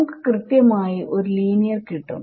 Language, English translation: Malayalam, We will get linear exactly